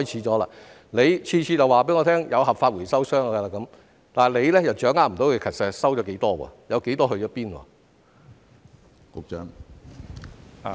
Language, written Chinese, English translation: Cantonese, 局長每次都告訴我有合法回收商，卻又掌握不到實際回收了多少，有多少到哪裏去了。, The Secretary always tells me that there are legitimate recyclers but he fails to grasp the actual quantity recovered and how many have gone to which places